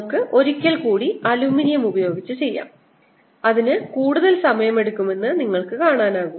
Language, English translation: Malayalam, lets do it in with the aluminum once more and you see, it takes much longer